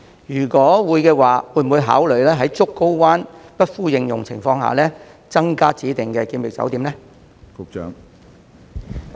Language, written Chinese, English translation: Cantonese, 如果會，會否考慮在竹篙灣不敷應用的情況下，增加指定的檢疫酒店呢？, If so will consideration be given to increasing the number of designated quarantine hotels in the event that the facilities in Pennys Bay have failed to meet the demand?